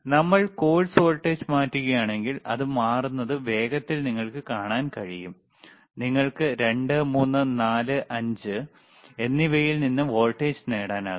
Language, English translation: Malayalam, So, Iif we change the course voltage, you will see can you please change it see you can you can quickly see it is changing and you can get the voltage from 2, 3, 4, 5